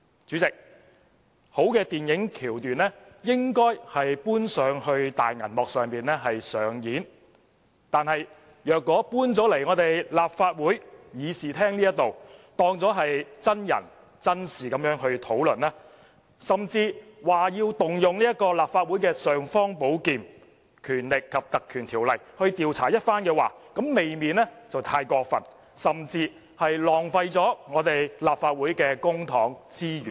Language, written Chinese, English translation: Cantonese, 主席，好的電影橋段應該搬上大銀幕上演，但如果帶進立法會議事廳，當作真人真事來討論，甚至說要動用立法會的"尚方寶劍"——《立法會條例》去調查一番的話，這未免太過分，甚至是浪費立法會的公帑及資源。, President a good plot should be filmed for screening . But if people bring it into this Chamber for discussion as a true story and even ask for an investigation using the imperial sword of the Council―the Legislative Council Ordinance ―I would say this is a bit too much and a waste of the Councils public money and resources